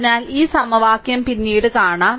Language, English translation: Malayalam, So, let me clear it, equation will see later